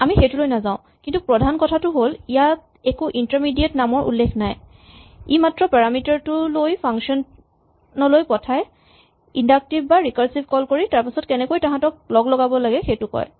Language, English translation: Assamese, We will not get into that, but the main point is that there is no mention here about the intermediate names, it is just taking the parameters passed to the function and inductive or recursive calls and how to combine them